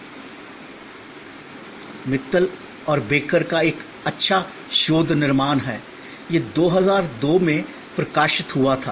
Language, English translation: Hindi, This is a nice research construct from Mittal and Baker, this was published in 2002